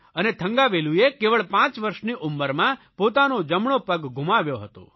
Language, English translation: Gujarati, Thangavelu had lost his right leg when he was just 5